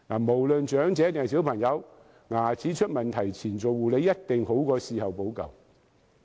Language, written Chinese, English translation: Cantonese, 無論長者或小朋友，在牙齒出問題前護理，一定比事後補救好。, Regardless elderly people or children preventive dental care is definitely better than any remedial measures